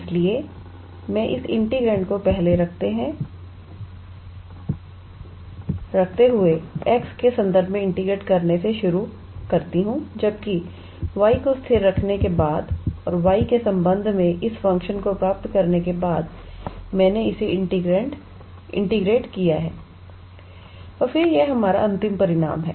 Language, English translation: Hindi, So, I started with treating this integrand as first of all integrating with respect to x keeping y as constant and after I got this function with respect to y, I integrated it and then this is our final result